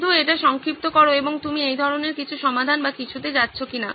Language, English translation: Bengali, Just sum it up and see if you are leading to some such solution or something